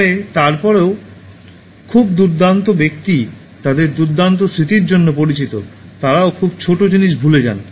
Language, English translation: Bengali, But then even very great people known for their wonderful memory, forget very small things